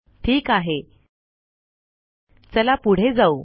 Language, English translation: Marathi, Okay, so lets get on with it